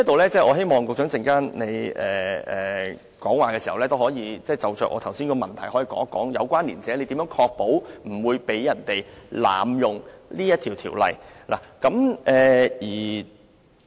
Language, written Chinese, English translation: Cantonese, 所以，我希望局長稍後發言時可就我剛才提出的問題，解釋一下何謂"有關連者"，以及如何確保不會被人濫用相關條文。, Therefore with regard to the question I raised just now I hope the Secretary will respond in his speech later by explaining the meaning of connected person and the ways to ensure that the relevant provisions will not be abused